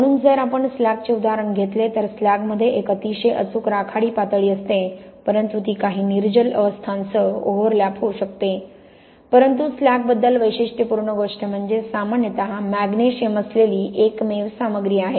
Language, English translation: Marathi, So, if we take the example of slag, slag has a very precise grey level but that may overlap with some of the anhydrous phases but the thing that is unique about slag, it is generally the only material that contains magnesium